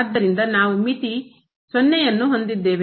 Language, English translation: Kannada, So, we have the limit now of